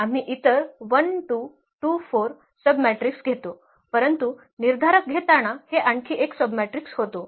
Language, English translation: Marathi, We take any other 1 2, 2 4, one more submatrix here also this is 0 when we take the determinant